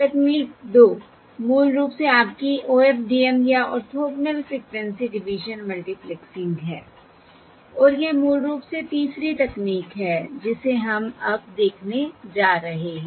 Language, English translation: Hindi, Technique 2 is basically your OFDM or Orthogonal Frequency Division, Orthogonal Frequency Division, Orthogonal Frequency Division Multiplexing, and this is basically the third technique that we are going to look at now